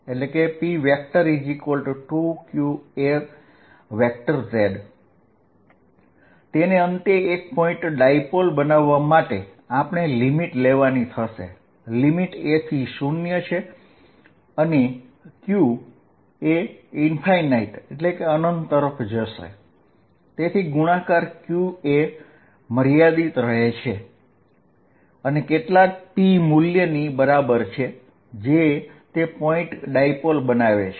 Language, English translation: Gujarati, To make it a point dipole finally, what we are going to do is take limit ‘a’ going to 0 and q going to infinity, such that product qa remains finite and equal to some p value that makes it a point dipole